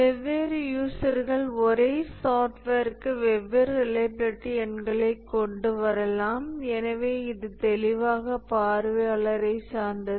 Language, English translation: Tamil, So different users can come up with different reliability numbers for the same software and therefore it is clearly observer dependent